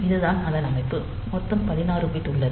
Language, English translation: Tamil, So, this total I said that it is a 16 bit